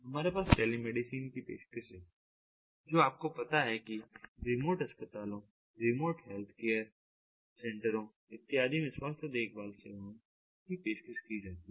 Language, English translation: Hindi, we have telemedicine ah offering ah, you know, offering health care services to the demote hospitals, demote health care centers, and so on